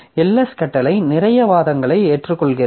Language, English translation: Tamil, So, LS command accepts lots of arguments so which this